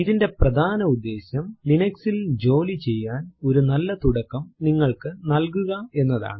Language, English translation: Malayalam, The main motivation of this is to give you a headstart about working with Linux